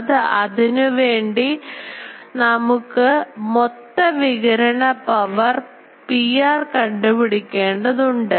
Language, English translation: Malayalam, So, for that we need to calculate the total radiated power P r